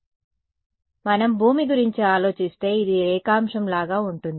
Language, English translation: Telugu, So, it is like what if we think of earth this is like longitude right